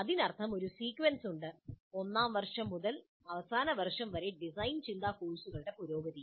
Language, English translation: Malayalam, That means there is a sequence, a progression of design thinking courses right from first year through final year